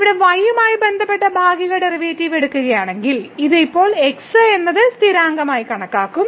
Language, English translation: Malayalam, So, if we take the partial derivative with respect to here, then this is now will be treated as constants